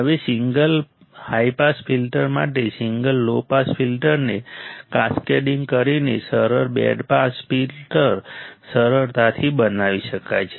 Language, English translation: Gujarati, Now, a simple band pass filter can be easily made by cascading single low pass filter with a single high pass filter